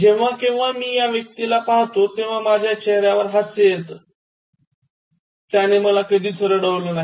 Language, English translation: Marathi, And whenever I see this person, I get a smile on my face and he has never made me cry